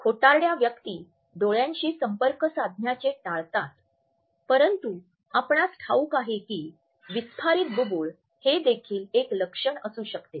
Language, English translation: Marathi, Now a liars tend to avoid eye contact, but did you know the dilated pupils can also be a sign